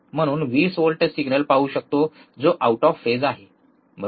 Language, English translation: Marathi, So, we should see a signal which is 20 volt signal is out of phase that is correct, right